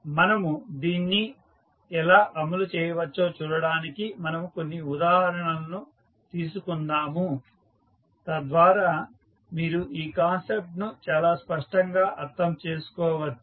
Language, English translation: Telugu, So, to see how we can implement this we will take couple of example so that you can understand this concept very clearly